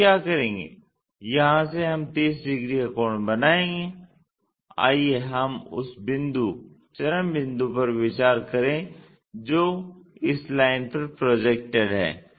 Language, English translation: Hindi, So, what we will do is, from here we will make a 30 degree angle let us consider the point extreme point which is projected onto this line